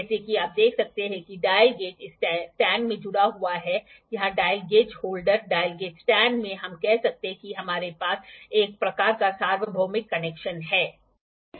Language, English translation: Hindi, As you can see the dial gauge is attached to this stand here the dial gauge holder, in the dial gauge stand we can say that we have a kind of universal connection